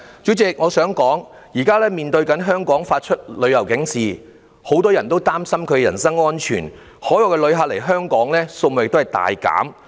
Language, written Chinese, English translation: Cantonese, 主席，我想說，現時多國對香港發出旅遊警示，很多人擔心人身安全，海外旅客來港數目大減。, Chairman what I would like to say is that by now many countries have issued travel alerts in relation to Hong Kong a lot of people worry about their personal safety and the number of overseas tourists visiting Hong Kong plunges